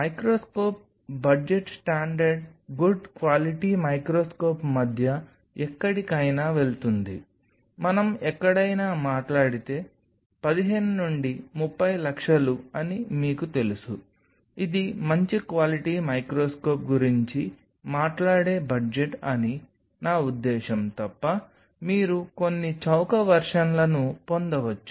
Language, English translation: Telugu, Microscope budget goes anywhere between a standard good quality microscope if we talk about somewhere between, you know say 15 to 30 lakhs this is the kind of budget we talk about good quality microscope, you can get some of the cheaper version unless I mean they may not be the best, but you can work out with them within a range of say 5 lakhs